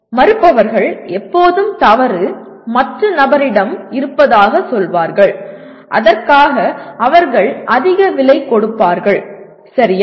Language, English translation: Tamil, Those who refuse, say always the fault lies with the other person, they will pay a heavy price for that, okay